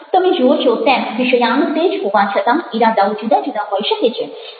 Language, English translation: Gujarati, you see that the, even if the topic is the same, the intentions could be very different